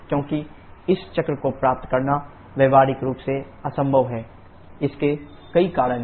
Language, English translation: Hindi, Because this cycle is practically impossible to achieve, there are several reasons